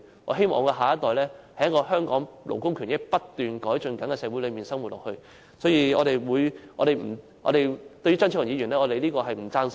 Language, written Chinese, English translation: Cantonese, 我希望我的下一代能在一個勞工權益不斷改進的香港社會內生活，所以，我們不贊同張超雄議員的說法。, I hope our next generation can live in a Hong Kong society where there is continuous improvement in labour rights and interests . Hence we do not agree with Dr Fernando CHEUNGs remark